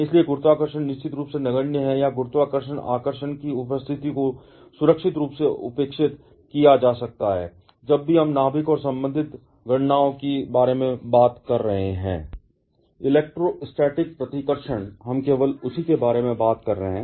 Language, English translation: Hindi, So, gravity definitely is negligible, or the presence of gravitational attraction can safely be neglected, whenever we are talking about the nucleus and associated calculations